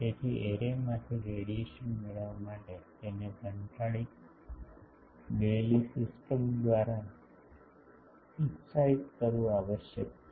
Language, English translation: Gujarati, So, in order to obtain radiation from the array, it must be excited by a fed system